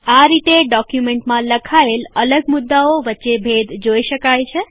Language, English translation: Gujarati, This way one can distinguish between different points written in the document